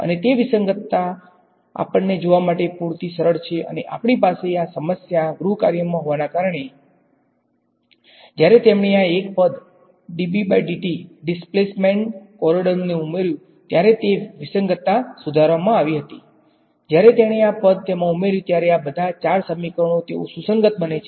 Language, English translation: Gujarati, And that inconsistency actually is simple enough for us to see and we will have that as a problem in the homework, that inconsistency is fixed was fixed by him when he added this one term is, d D by dt the displacement conundrum, when he adds this term to it all of these 4 equations they become consistent